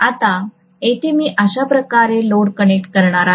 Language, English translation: Marathi, Now I am going to connect the load here, like this